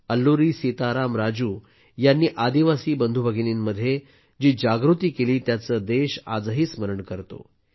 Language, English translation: Marathi, The country still remembers the spirit that Alluri Sitaram Raju instilled in the tribal brothers and sisters